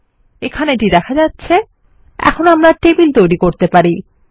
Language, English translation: Bengali, We can see it appears here and we can now create tables